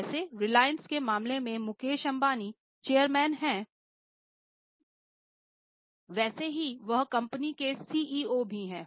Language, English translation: Hindi, Like in case of reliance, Mukeshambani is chairman, he is also CEO of the company